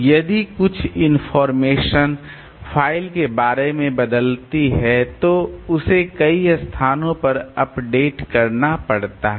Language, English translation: Hindi, If some information changes about the file it had to be updated in several places